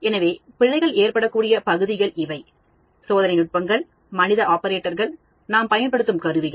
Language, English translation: Tamil, So, these are the areas where errors are prone the experimental techniques, the human operators, the instruments which we use